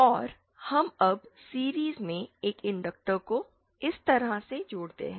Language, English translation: Hindi, And we now connect an inductor in series like this